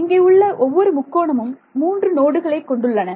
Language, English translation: Tamil, Each of these triangles has three nodes and there will be some local numbers